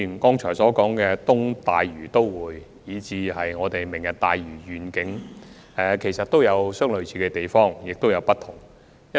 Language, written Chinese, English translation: Cantonese, 剛才所提及的東大嶼都會，以及"明日大嶼願景"，兩者既有類似的地方，但亦有不同之處。, There are both similarities and differences between the East Lantau Metropolis mentioned just now and the Lantau Tomorrow Vision